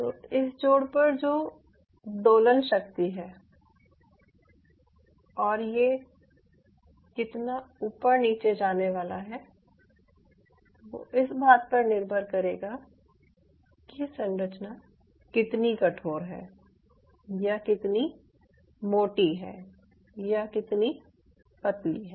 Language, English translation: Hindi, so this oscillation power at this hinge joint, how much it is going to move back and forth, is a function of how rigid the structure is or how thick the structure is or how thinner the structure is